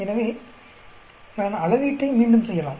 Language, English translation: Tamil, So, I may repeat the measurement